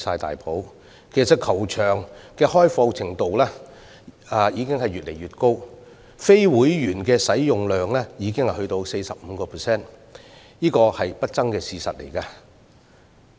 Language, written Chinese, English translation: Cantonese, 事實上，球場的開放程度已越來越高，非會員的使用量已達 45%， 是不爭的事實。, In fact it is an indisputable fact that the golf course is getting more and more open with the rate of usage by non - members reaching 45 %